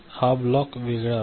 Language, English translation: Marathi, This block is different